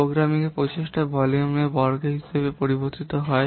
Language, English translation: Bengali, The programming effort it varies as the square of the volume